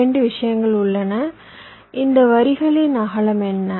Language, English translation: Tamil, there are two things: what is the width of this lines